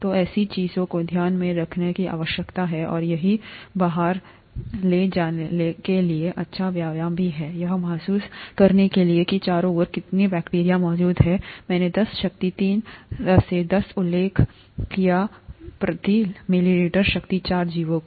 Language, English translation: Hindi, So, such things need to be taken into account, and it is also a nice exercise to carry out, to realize how much bacteria is present around, I did mention ten power three to ten power four organisms per ml